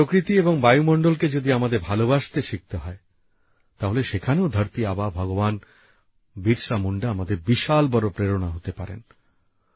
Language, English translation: Bengali, If we have to learn to love nature and the environment, then for that too, Dharati Aaba Bhagwan Birsa Munda is one of our greatest inspirations